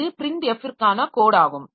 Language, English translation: Tamil, So it is the code for print f